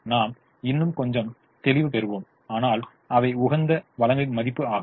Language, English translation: Tamil, we'll qualify it a little more, but they are the worth of the resources at the optimum